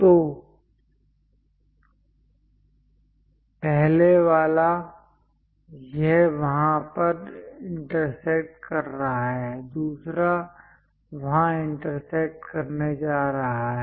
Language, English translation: Hindi, So, the first one; it is intersecting there, the second one is going to intersect there